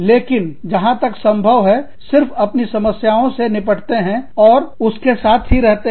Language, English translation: Hindi, But, as far as possible, just deal with your problems, and be done with it